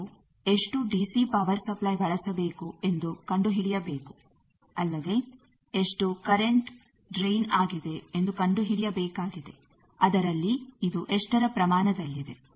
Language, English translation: Kannada, How much DC power supply, you have used you need to find out also what is the current drain you need to find out what is the part count of that